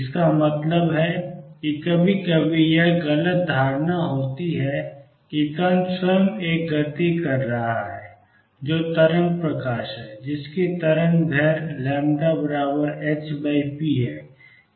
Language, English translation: Hindi, That means sometimes there is a misconception that the particle itself is performing a motion which is wave light, with a wavelength which is lambda given by h by p